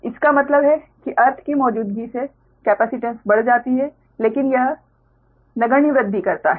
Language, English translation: Hindi, that means presence of earth increase the capacitance, but that increases negligible, right